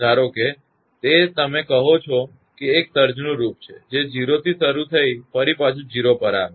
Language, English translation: Gujarati, Suppose it is just a your what you call it is form of a surge starting from 0 and returning again to 0